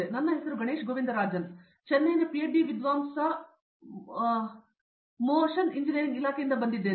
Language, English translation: Kannada, My name is Ganesh Govindarajan, I am from Motion Engineering Department, PhD scholar from Chennai